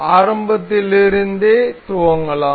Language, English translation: Tamil, So, let us begin from the start